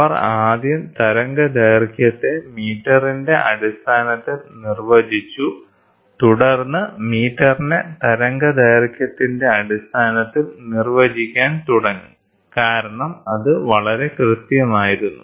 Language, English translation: Malayalam, So, first they defined the wavelength in terms of metres, then they started defining the metre in terms of wavelength because it was very accurate